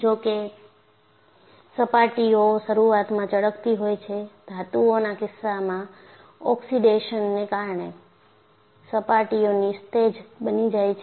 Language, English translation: Gujarati, Though, the surfaces initially are shiny, in the case of metals, the surfaces become dull, due to oxidation